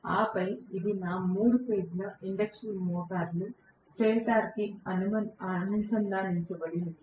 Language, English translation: Telugu, And then this is connected to my three phase induction motors stator